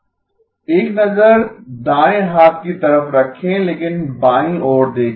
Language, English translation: Hindi, Keep an eye on the right hand side but look on the left